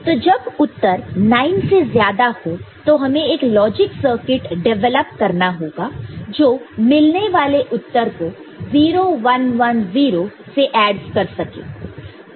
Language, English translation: Hindi, So, this result when it is more than 9 you have to develop a logic circuit that will add 0 1 1 0